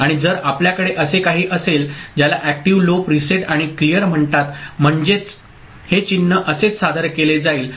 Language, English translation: Marathi, And if you are having a what is that called active low preset and clear so this is the way the symbol will be presented